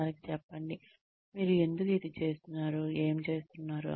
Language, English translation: Telugu, Tell them, why you are doing, what you are doing